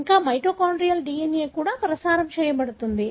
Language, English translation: Telugu, Moreover, mitochondrial DNA is also transmitted